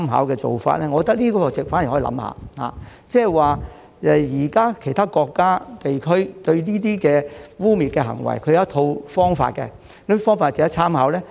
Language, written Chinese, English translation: Cantonese, 我覺得這做法反而可以考慮一下，即現時其他國家和地區對這些污衊行為有其一套方法，可研究哪些方法值得參考。, I think this is a way that can be considered instead that is other countries and regions have their own approaches in dealing with these smears and thus we can study which approaches are worthy of our reference